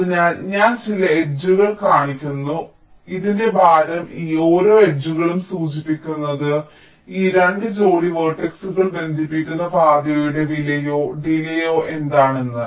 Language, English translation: Malayalam, so the weight of this, each of this edges, will indicate that what will be the cost or the delay of the path connecting these two pair of vertices